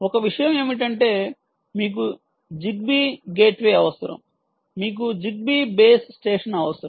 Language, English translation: Telugu, one thing is you need a zigby gateway, you need a zigby base station